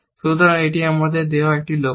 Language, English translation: Bengali, So, this is a goal given to us